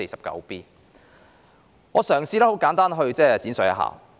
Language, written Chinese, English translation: Cantonese, 讓我嘗試簡單闡述。, Let me try to briefly elaborate on that